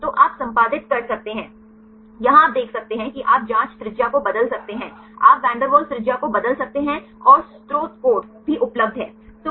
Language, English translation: Hindi, So, you can edit, here you can see the you can change the probe radius, you can change the van der Waals radius and source code is also available